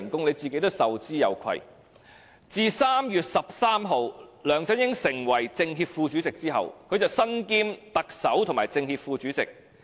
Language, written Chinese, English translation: Cantonese, 梁振英自今年3月13日成為政協副主席之後，身兼特首及政協副主席。, Since LEUNG Chun - ying was appointed a Vice - chairman of CPPCC on 13 March this year he has assumed the dual roles of the Chief Executive and Vice - chairman of CPPCC